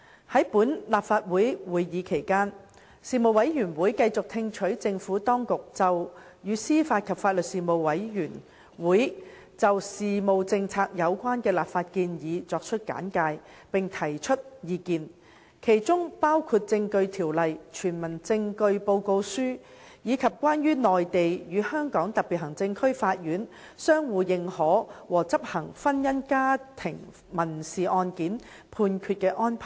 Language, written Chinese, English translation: Cantonese, 在本立法會會期內，事務委員會繼續聽取政府當局就與司法及法律事務政策有關的立法建議所作的簡介，並提出意見；其中包括《證據條例》、《傳聞證據報告書》，以及"關於內地與香港特別行政區法院相互認可和執行婚姻家庭民事案件判決的安排"等。, In this legislative session the Panel continued to receive briefings by the Administration and provide views on the legislative proposals in respect of policy matters relating to the administration of justice and legal services including the Evidence Ordinance the Report on Hearsay in Criminal Proceedings and the Arrangement on Reciprocal Recognition and Enforcement of Civil Judgments in Matrimonial and Family Cases by the Courts of the Mainland and of the Hong Kong Special Administrative Region